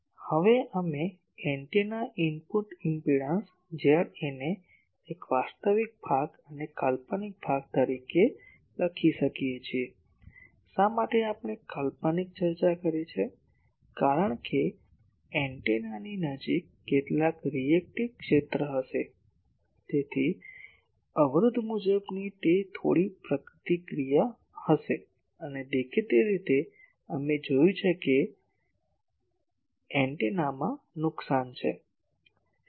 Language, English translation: Gujarati, Now, we can write the antenna input impedance Z A as a real part and an imaginary part, why imaginary we have discussed because there will be some reactive field near the antenna so, impedance wise it will be some reactance and; obviously, we have seen that there are losses in the antenna